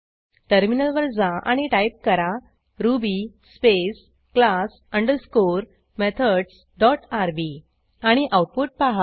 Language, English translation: Marathi, Switch to the terminal and type ruby space class underscore methods dot rb and see the output